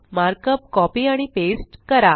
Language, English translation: Marathi, I am copying and pasting the markup